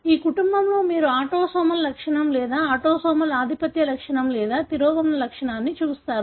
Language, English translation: Telugu, In this family what is that you see an autosomal trait or, autosomal dominant trait or recessive trait